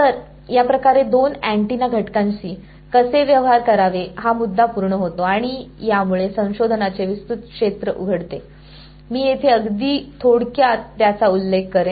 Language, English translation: Marathi, So, this sort of completes how to deal with two antenna elements and this opens up a vast area of research I will just very briefly mention it over here